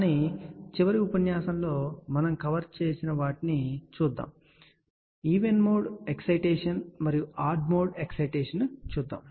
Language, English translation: Telugu, But let just have a quickly look into what we had covered in the last lecture so then even mode excitation then odd mode excitation